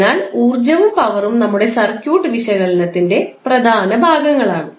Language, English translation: Malayalam, So, the power and energy is also important portion for our circuit analysis